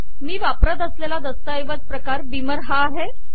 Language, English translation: Marathi, The document class that I am using is beamer